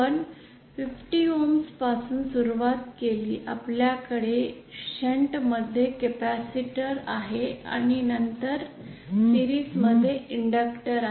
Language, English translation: Marathi, We started from 50 ohms first we have a capacitor in shunt and then an inductor in series